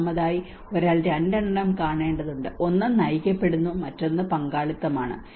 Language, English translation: Malayalam, First of all, one has to look at there are two, one is guided, and the other one is a kind of participation oriented